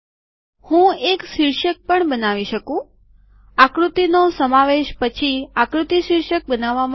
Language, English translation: Gujarati, I can also create a caption, figure captions are created after the figure is included